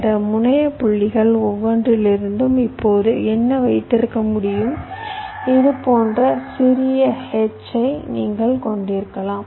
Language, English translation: Tamil, now what you can have after that, from each of these terminal points you can have a smaller h like this, so you get another four points from each of them, right